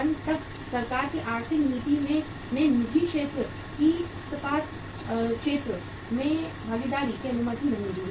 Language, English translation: Hindi, Till the till 1991 the economic policy of the government did not allow the participation of the private sector into the steel sector